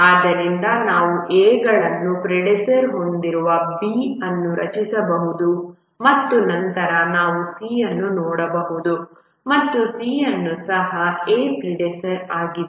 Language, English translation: Kannada, So you can draw B which has A is the predecessor and then we can look at C and C also has A as the predecessor